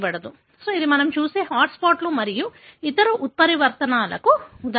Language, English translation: Telugu, So, this is the example of, the hot spots and other such mutations that we have looked at